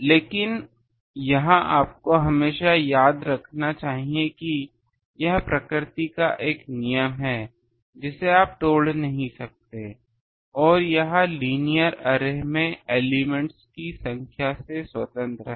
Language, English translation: Hindi, But this you should always remember that this is a law of nature you cannot break and this is independent of the number of elements in the linear array